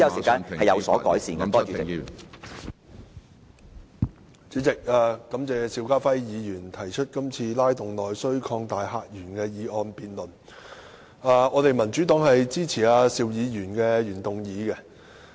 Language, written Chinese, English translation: Cantonese, 主席，感謝邵家輝議員提出今次"拉動內需擴大客源"的議案辯論，民主黨支持邵議員的原議案。, President I have to thank Mr SHIU Ka - fai for proposing this motion debate on Stimulating internal demand and opening up new visitor sources . The Democratic Party supports the original motion of Mr SHIU Ka - fai